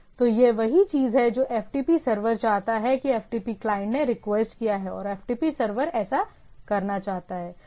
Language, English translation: Hindi, So, this is the ftp server wants to the ftp client has requested and ftp server wants to do that